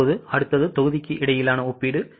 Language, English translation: Tamil, Now, next is comparison between the volume